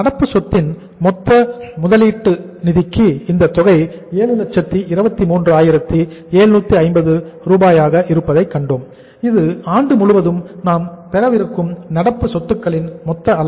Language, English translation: Tamil, And then we saw that for this funding of the total investment in the current asset that is 7,23,750 uh this is the total size of the current assets we are going to have for the whole of the year